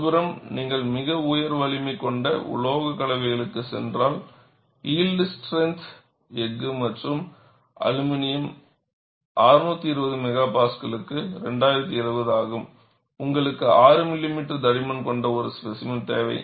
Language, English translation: Tamil, On the other hand, if you go for a very high strength alloy, yield strength is 2070 for steel and aluminum 620 MPa; you need a specimen of a just 6 millimeter thickness